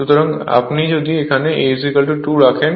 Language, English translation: Bengali, So if you put here A is equal to 2 right